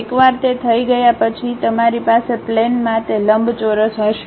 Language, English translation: Gujarati, Once it is done you will have that rectangle on the plane